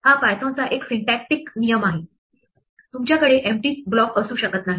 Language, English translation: Marathi, This is a syntactic rule of Python you cannot have an empty block